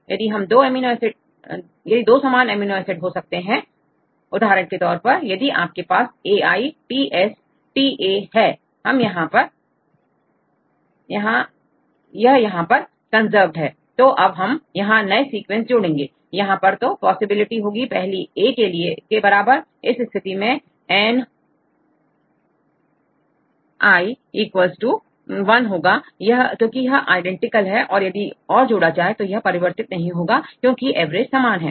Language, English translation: Hindi, If you have one more sequence there are two possibilities; one possibility is that could be the same amino acid right for example, if you have a sequence right A I T S T A right this is a conserved here right then we add new sequence, there are two possibilities one possibility is equal to be A, then this case Naic = 1 because this is identical, even if add more, there is no difference because average is the same